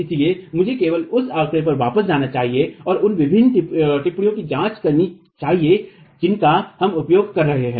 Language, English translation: Hindi, So let me just go back to the figure and examine the different notations that we are using